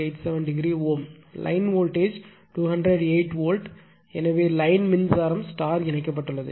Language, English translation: Tamil, 87 degree ohm right , line voltage is 208 volt therefore, line current will be just, your it is your star connected